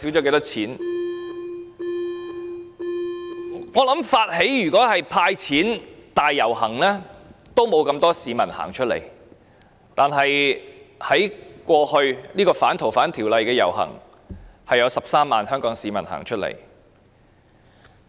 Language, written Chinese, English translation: Cantonese, 我想如果發起"派錢"大遊行，不會有那麼多市民走出來；但是，在剛過去的反修訂《逃犯條例》遊行，則有13萬名香港市民走出來。, I think if I initiate a cash handout parade not too many people will participate . However in the latest parade against the amendment to the Fugitive Offenders Bill 130 000 people took to the street